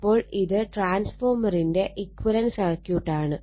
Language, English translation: Malayalam, So, this is actually equivalent circuit of the transformer, then what we did